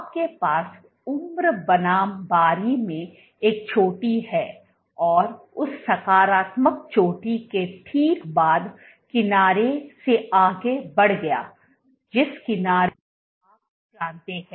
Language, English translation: Hindi, You have a peak in age versus turn over and right after that positive peak when the edge moved ahead then the edge you know